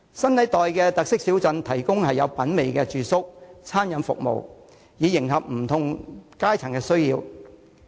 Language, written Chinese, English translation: Cantonese, 新一代的特色小鎮提供有品味的住宿和餐飲服務，迎合不同階層的需要。, The new generation of small towns with characteristics provide stylish accommodation and catering services to meet the needs of different classes